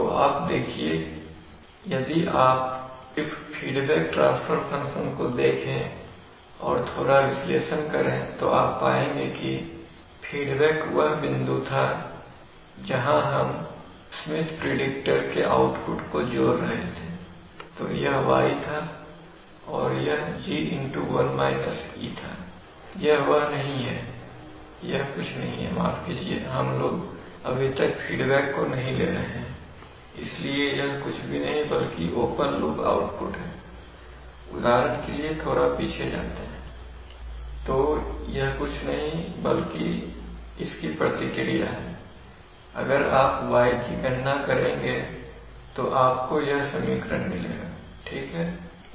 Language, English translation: Hindi, So you see that, if you just see the feedback transfer function and do up little analysis we will find that, the y feedback, feedback was the point where we were adding that Smith predictor output, so this was y and this was that G to the power, this is not that one, this is, this was, yeah, so basically this says that, simply this is nothing, sorry, we are not yet considering feedback at all, so this is nothing but the open loop output, for example let us go back a little bit let us go back a little bit